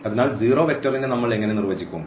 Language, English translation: Malayalam, So, what how do we define the zero vector